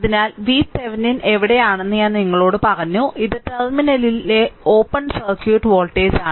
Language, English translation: Malayalam, So, where V Thevenin, I told you it is open circuit voltage at the terminal